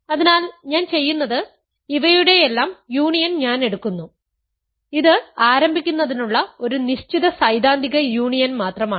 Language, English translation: Malayalam, So, what I am doing is, I am taking the union of all of these, just a set theoretic union to begin with